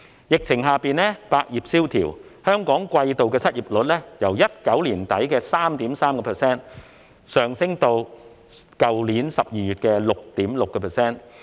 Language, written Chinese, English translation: Cantonese, 疫情下，百業蕭條，香港季度失業率由2019年年底的 3.3% 上升至去年12月的 6.6%。, Amid the pandemic business is slack in all trades and industries . The quarterly unemployment rate of Hong Kong has risen from 3.3 % in late 2019 to 6.6 % in last December